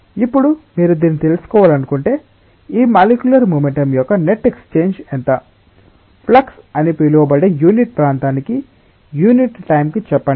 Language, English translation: Telugu, Now, if you want to find out that: what is the rate of exchange of this molecular momentum, say per unit time per unit area that is known as flux